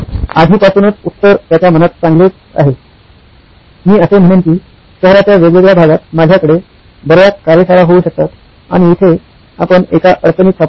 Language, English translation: Marathi, The answer was already on top of his mind saying well, I could have many more workshops in different parts of the city and here we get into a problem